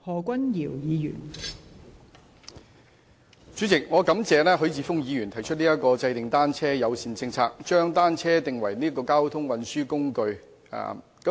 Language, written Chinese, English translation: Cantonese, 代理主席，我感謝許智峯議員提出"制訂單車友善政策，將單車定為交通運輸工具"的議案。, Deputy President I thank Mr HUI Chi - fung for proposing the motion on Formulating a bicycle - friendly policy and designating bicycles as a mode of transport